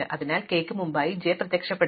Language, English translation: Malayalam, So, j must appear before k